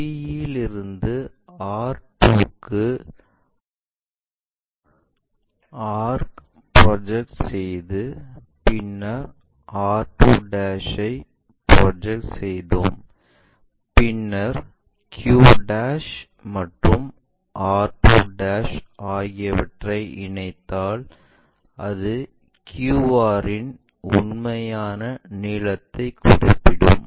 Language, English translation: Tamil, So, from p and this is r we take a arc project it to r 2 line from there project it r2' we got it, and then join this q' r2' to represent true length of a line qr